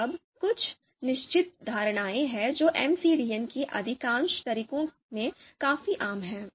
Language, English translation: Hindi, Now you know there are certain assumptions you know which are quite common in most of the MCDM method